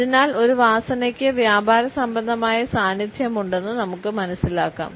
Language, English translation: Malayalam, So, we can conclude that a smell has a commercial presence